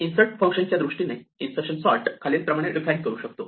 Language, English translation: Marathi, Insertion sort can be defined in terms of insert function as follows